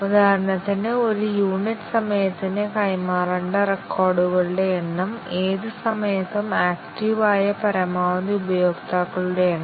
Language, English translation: Malayalam, For example, the number of records to be transferred per unit time, maximum number of users active at any time